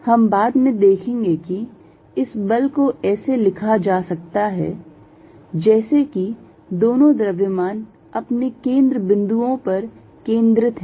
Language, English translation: Hindi, We will see later, that this force can be written as if the two masses are concentrated at their centers